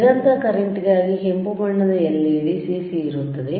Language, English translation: Kannada, For cconstant current, red colour right ledLED CC is present